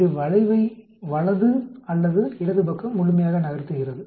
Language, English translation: Tamil, It shifts the curve either to the right or to the left completely